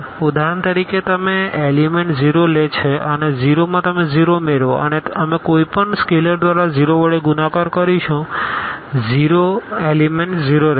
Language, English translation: Gujarati, For example, you take the element the 0 and add to the 0 you will get 0 and we multiply by any scalar to the 0 the element will remain as a 0